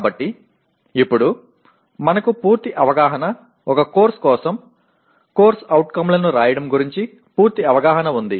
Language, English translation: Telugu, So now we have a picture, a complete picture of writing, a complete picture of COs for a course